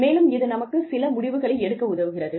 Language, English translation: Tamil, And, that helps us, make some decisions